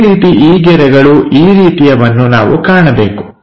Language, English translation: Kannada, Similarly, these lines such kind of things we are supposed to see